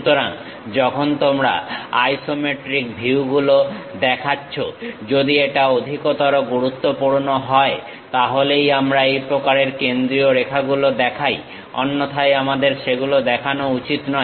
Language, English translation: Bengali, So, when you are showing isometric views; if it is most important, then only we will show these kind of centerlines, otherwise we should not show them